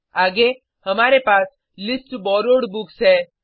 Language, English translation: Hindi, Next, we have List Borrowed Books